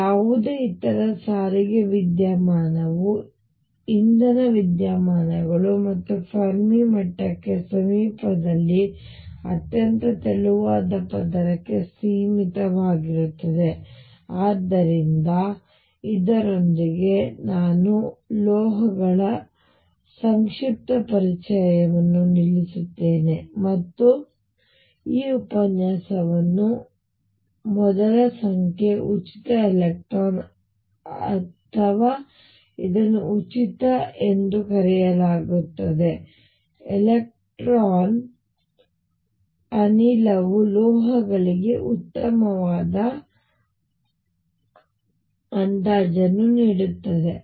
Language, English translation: Kannada, Any other transport phenomenon energy phenomena as again going to be confined to very thin layer near the Fermi level, so with this I stop this brief introduction to metals and conclude this lecture by stating that number one, free electron or which is also known as free electron gas provides a reasonably good first approximation to metals